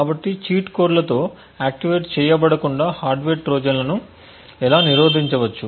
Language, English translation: Telugu, So how would one actually prevent hardware Trojans from the activated with cheat codes